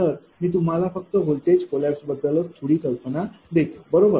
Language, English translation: Marathi, So, just I will give you some idea about the voltage collapse, right